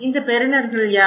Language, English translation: Tamil, Now, who are the senders